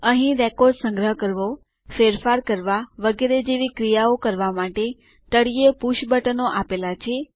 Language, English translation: Gujarati, Here are some push buttons at the bottom for performing actions like saving a record, undoing the changes etc